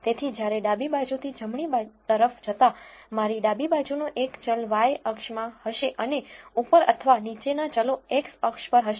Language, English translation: Gujarati, So, when one moves from left to right the variables on my left will be in the y axis and the variables above or below will be on the x axis